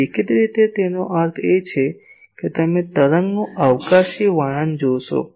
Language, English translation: Gujarati, So, obviously; that means, this is a you see spatial description of the wave